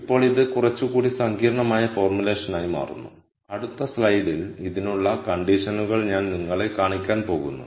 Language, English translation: Malayalam, Now this becomes a little more complicated formulation and I am going to show you the conditions for this in the next slide